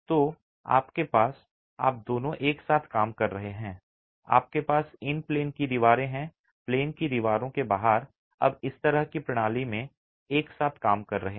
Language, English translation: Hindi, So, you have both working together, you have the in plain walls and the out of plane walls now working together in this sort of a system